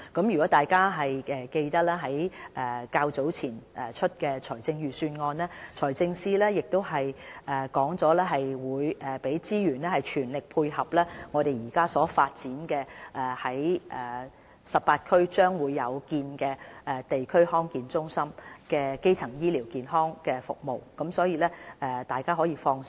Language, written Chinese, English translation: Cantonese, 若大家仍記得在較早前公布的財政預算案，財政司司長表示會投放資源，全力配合我們將在18區設立的地區康健中心提供基層醫療健康服務，所以大家可以放心。, If Members still remember it the Financial Secretary has said in the recently published Budget that he will set aside necessary resources to fully support the setting up of DHCs in all 18 districts for the provision of primary health care services